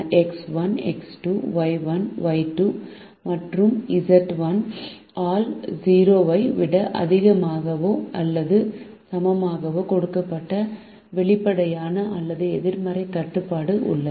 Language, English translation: Tamil, there is an explicit non negativity restriction given by x one, x two, y one, y two and z one greater than or equal to zero